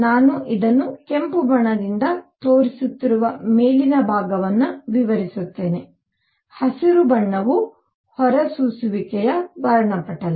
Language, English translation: Kannada, So, let me explain the upper portion where I am showing this by red the green arrow is the emission spectrum